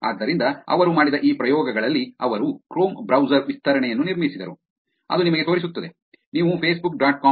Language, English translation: Kannada, So in this experiments that they did, what they did was they built Chrome browser extension, which would actually show you, you go to facebook